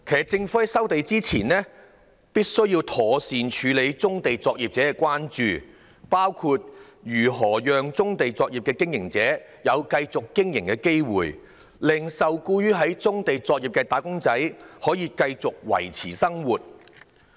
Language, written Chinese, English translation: Cantonese, 政府在收地前，必須妥善處理棕地作業者的關注，包括如何讓棕地作業的經營者有機會繼續經營，令受僱於棕地作業的"打工仔"可以繼續維持生計。, Before the resumption of land the Government must properly address the concerns of brownfield operators who should be given the opportunity to continue with their operations and wage earners engaged in such operations can go on make a living